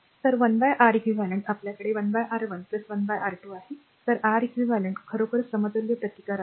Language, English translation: Marathi, So, 1 upon Req ah we have 1 upon R 1 plus 1 upon R 2 so, Req actually is the equivalent resistance